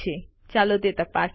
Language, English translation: Gujarati, Lets check it